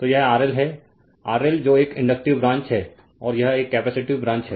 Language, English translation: Hindi, So, youryour this is RLR L over L that is one inductive branch and this is one capacitive branch right